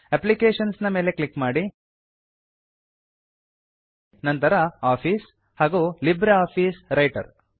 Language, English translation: Kannada, Click on Applications, Office and LibreOffice Writer